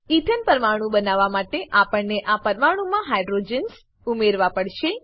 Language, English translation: Gujarati, We have to add hydrogens to this molecule to create an ethane molecule